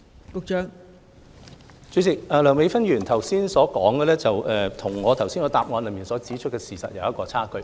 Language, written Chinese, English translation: Cantonese, 代理主席，梁美芬議員剛才所說的與我在主體答覆中所指的事實有差距。, Deputy President what Dr Priscilla LEUNG said just now has deviated from the facts I pointed out in the main reply